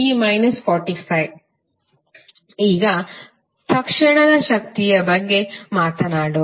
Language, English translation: Kannada, Now, let us talk about the Instantaneous power